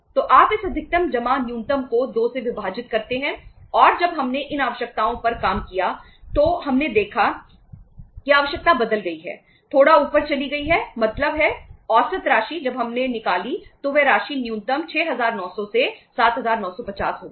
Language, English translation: Hindi, So you divide this maximum plus minimum divided by 2 and when we worked out this requirements we saw that that requirement has changed, went up little up means average amount when we worked out that amount went up that is from 6900 minimum to the 7950